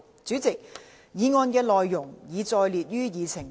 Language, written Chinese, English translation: Cantonese, 主席，議案內容已載列於議程內。, President details of the motion are set out on the Agenda